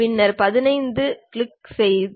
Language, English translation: Tamil, Then we click 15